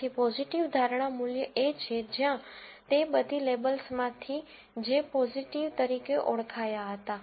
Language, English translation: Gujarati, So, the positive predictive value is one where, of all the labels that were identified as positive